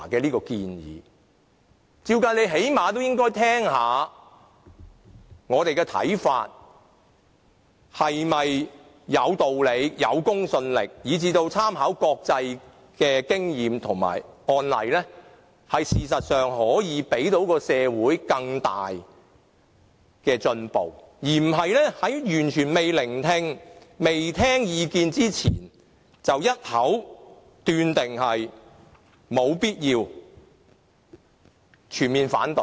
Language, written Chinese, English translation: Cantonese, 理論上，官員最低限度要聆聽議員的看法是否有道理、有公信力，以及參考國際的經驗和案例，這樣才可以令社會有更大的進步；而不是在完全未聆聽意見的情況下，便一口斷定立法會沒有必要展開調查，並全面反對。, Theoretically government officials should at least listen to Members views to see if they are justified and credible and should take reference from international experience and precedents so that we can have better social progress instead of arbitrarily disagree to the need for the Legislative Council to launch an investigation and fully object to our proposal without listening to our views